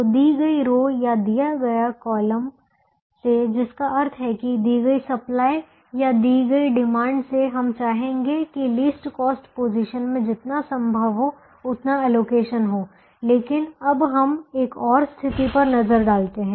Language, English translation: Hindi, so, given a row or given a column, which means given a supply or given a demand, we would like to have as much allocation as possible in the corresponding least cost position